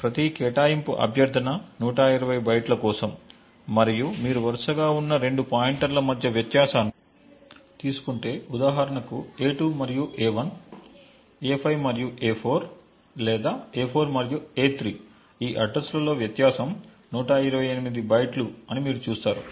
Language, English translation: Telugu, So note that each allocation request is for 120 bytes and if you actually take the difference between any two consecutive pointers, for example a2 and a1, a5 and a4 or a4 and a3 you would see that the difference in these addresses is 128 bytes, the extra 8 bytes comes due to the presence of the metadata